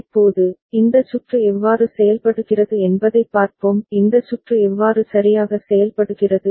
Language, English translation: Tamil, Now, let us see how this circuit behaves; how this circuit behaves ok